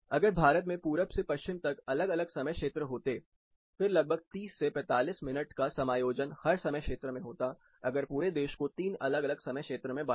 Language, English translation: Hindi, If India were to have different time zones from east to west, then the time zone adjustments will be something like half an hour to 45 minutes for each time zone if one were to divide the country into three different time zones